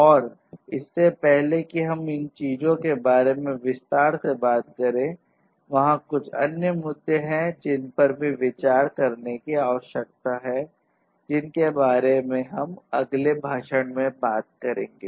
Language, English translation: Hindi, And before you know we talk about those things in detail, there are a few other issues that also need to be considered and that is what we are going to talk about in the next lecture